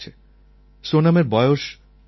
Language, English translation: Bengali, She is 9 years old